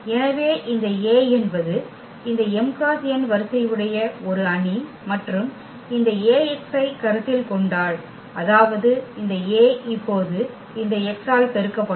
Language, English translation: Tamil, So, this A is a matrix of order this m cross n and if we consider this Ax; that means, this A will be multiplied now by this x here